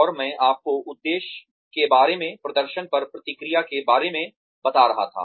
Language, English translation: Hindi, And, I was telling you, about the purpose of, the feedback on performance